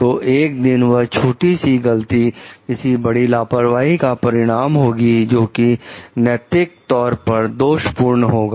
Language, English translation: Hindi, So, one day that sound simple mistake may result in bigger negligence that is what is morally blameworthy